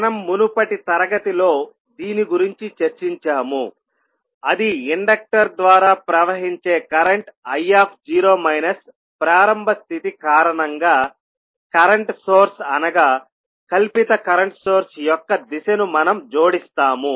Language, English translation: Telugu, This is what we discussed in the previous class that the direction of the current source that is the fictitious current source which we added because of the initial condition of a current I naught flowing through the inductor